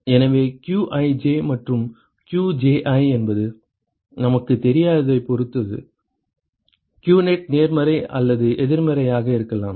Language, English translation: Tamil, So, qnet can be positive or negative depending upon what is qij and qji we do not know that